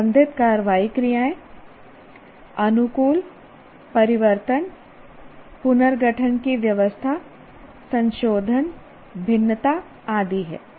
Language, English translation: Hindi, The action words related are adapt, alter, change, rearrange, reorganize, revise, vary and so on